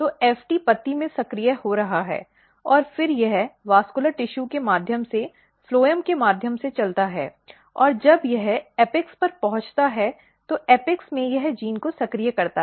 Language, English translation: Hindi, So, FT is getting activated in the leaf and then it basically moves through the vascular tissue precisely through the phloem and when it reaches to the apex in apex it basically activates the genes